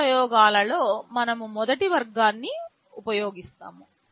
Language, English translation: Telugu, In our experiments we shall be using the first category